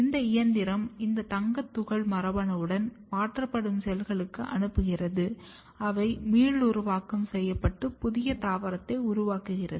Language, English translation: Tamil, And, then this machine sends this gold particle along with the gene into the cells and the cells which are transformed they regenerate and make the new plant